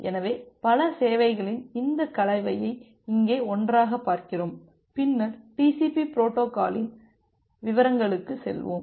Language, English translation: Tamil, So, we look into this combination of multiple service together here and then we’ll go to the details of the TCP protocol in details